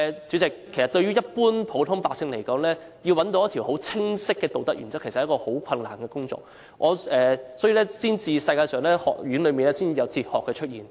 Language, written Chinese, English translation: Cantonese, 主席，對普通百姓來說，要找一條很清晰的道德原則，其實是一件很困難的事情，所以學院才有哲學的出現。, This is unacceptable to me . President it is indeed very difficult for an ordinary person to define a clear moral principle and this is why there are schools of philosophy in colleges